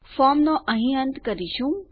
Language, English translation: Gujarati, Lets end our form here